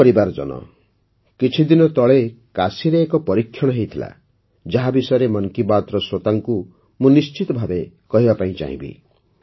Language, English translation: Odia, My family members, a few days ago an experiment took place in Kashi, which I want to share with the listeners of 'Mann Ki Baat'